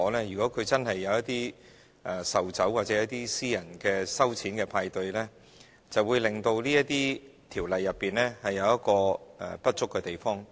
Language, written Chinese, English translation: Cantonese, 如果確實有一些售酒活動或舉行私人收錢的派對，便會造成這些條例不足的地方。, The legislation will be inadequate if someone organizes sales activities of alcohol or private parties that charge fees